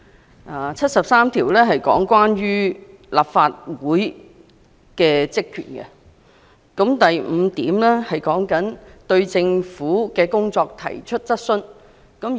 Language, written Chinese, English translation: Cantonese, 《基本法》第七十三條列明立法會的職權，該條第五項指立法會有權對政府的工作提出質詢。, Article 73 of the Basic Law sets out the powers of the Legislative Council and Article 735 specifies that the Legislative Council has the right to raise questions on the work of the Government